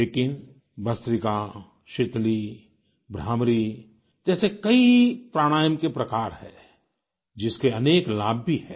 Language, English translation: Hindi, But there are many other forms of Pranayamas like 'Bhastrika', 'Sheetali', 'Bhramari' etc, which also have many benefits